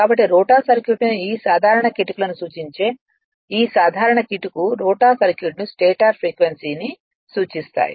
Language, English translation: Telugu, So, this simple tricks referred to the rotor circuit to the your this this simple trick refers to the rotor circuit to the stator frequency